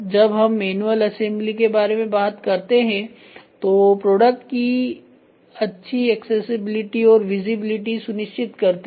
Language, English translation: Hindi, When we talk about manual assembly ensure good products accessibility as well as visibility